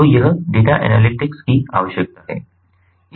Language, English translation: Hindi, so this is the requirement of the data analytics